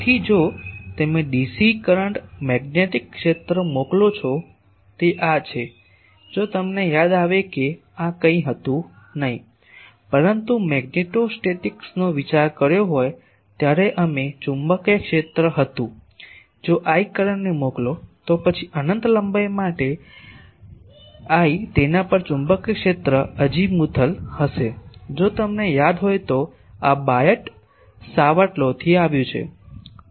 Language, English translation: Gujarati, So, if you send dc current the magnetic field is this if you remember that this was nothing, but the magnetic field when we have considered magnetostatics if we send the current of I, then for a infinitesimal length l on that the magnetic field will be azimuthal and is this came from Biot Savart Law if you remember